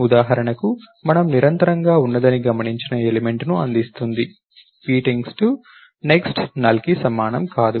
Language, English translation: Telugu, And for example, returns the element noticed that we are continuously while p point to next, not equal toNULL